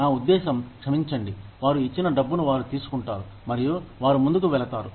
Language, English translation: Telugu, I mean, sorry, they take the money, that is given to them, and they move on